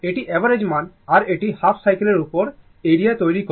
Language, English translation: Bengali, This is the average value or this one you make area over half cycle